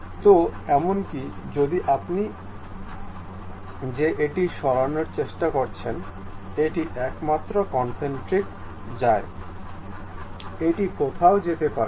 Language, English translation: Bengali, So, even if you are trying to move that one, this one goes only in the concentric way, it cannot go anywhere